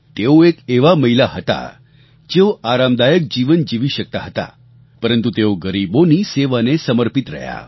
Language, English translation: Gujarati, She was a woman who could live a luxurious life but she dedicatedly worked for the poor